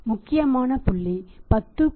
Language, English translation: Tamil, Then important point 10